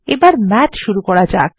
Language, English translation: Bengali, Now let us call Math